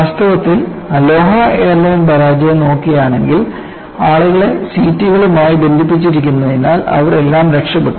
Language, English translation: Malayalam, In fact, the Aloha airline failure, if you really go back and look at what they had done, just because the people were tied to the seats, they were all saved